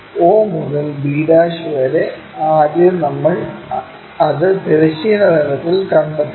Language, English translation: Malayalam, o to b' first of all we locate it on that horizontal plane